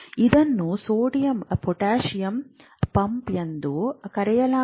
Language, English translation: Kannada, So this is called a sodium potassium pump